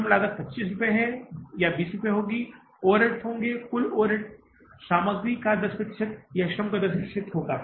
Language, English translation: Hindi, Labor cost will be 25 or 20 rupees and overheads will be total overheads will be 10% of the material or 10% of the labor